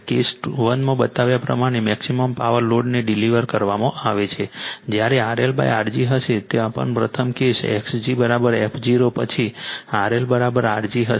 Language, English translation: Gujarati, As shown in case 1 the maximum power is delivered to the load when R L will be is equal to R g, there also you said for the first case X g is equal to f 0 then R L is equal to R g